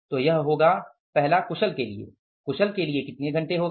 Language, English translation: Hindi, So, it will be the first skilled will be the how many hours